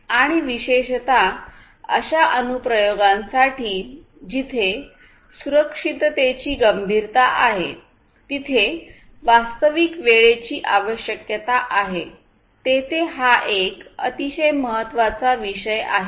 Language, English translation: Marathi, And this is a very important consideration particularly for applications, where safety criticality, where there is real time requirements are there